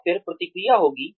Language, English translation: Hindi, The first is reaction